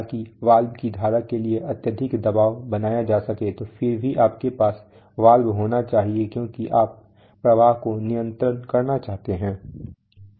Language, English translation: Hindi, So that tremendous pressure will be created to the stream of the valve which will, so still you have to have the valve because you want to control flow